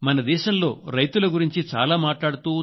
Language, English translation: Telugu, A lot is being said in the name of farmers in our country